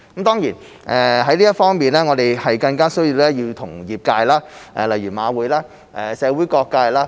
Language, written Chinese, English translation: Cantonese, 在這方面，我們更加需要與業界配合，例如馬會及社會各界。, In this regard we need to work in collaboration more closely with the industries eg . HKJC and various sectors in the community